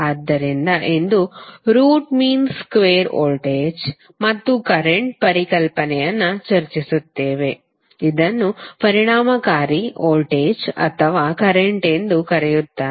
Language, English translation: Kannada, So today we will discuss the concept of root mean square voltage and current which is also called as effective voltage or current